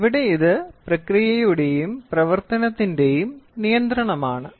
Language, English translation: Malayalam, So, here this is control of process and operation